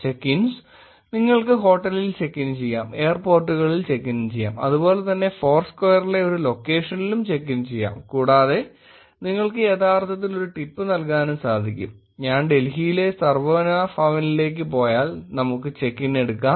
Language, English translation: Malayalam, Check ins is, you check in to the hotel, you check in to the airports and similarly you check in to a location in foursquare and you can actually also leave a tip, let us take if I go to Sarvana Bhavan, Connaught Place in Delhi